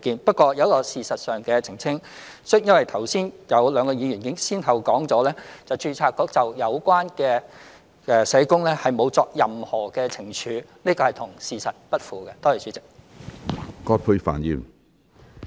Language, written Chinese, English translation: Cantonese, 不過，我有一個事實上的澄清，因為剛才有兩位議員先後表示註冊局沒有對有關社工作出任何懲處，這是與事實不符的。, However I would like to make a factual clarification because two Members have just said that the Board had not imposed any punishment on the relevant social workers which is inconsistent with the facts